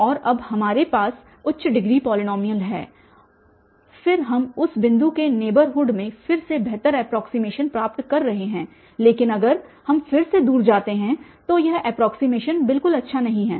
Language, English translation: Hindi, And now we have higher degree polynomial and then we are getting better approximation in the neighborhood again of that point but if we go far again this approximation is not at all good